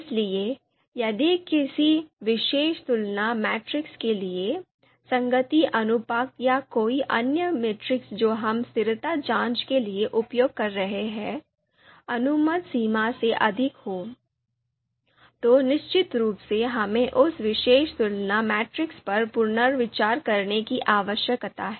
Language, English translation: Hindi, So if for a particular comparison matrix matrix if the consistency you know ratio or any other metric that we are using for consistency check if that comes out to be you know you know greater than the allowable you know limits, then of course we need to reconsider that particular comparison matrix